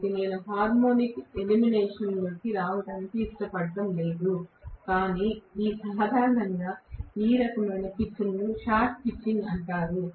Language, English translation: Telugu, So, I do not want to get into the harmonic elimination, but generally this kind of pitch is known as short pitching